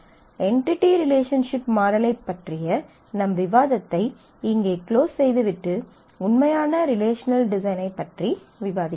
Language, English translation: Tamil, And we will close our discussion on the entity relationship model here and move on to discuss the actual relational design